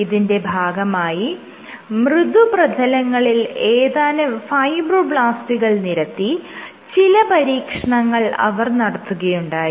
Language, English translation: Malayalam, So, what they did was they took fibroblasts and showed that on stiffer surfaces